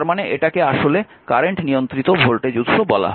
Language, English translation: Bengali, This is for example, say current controlled current source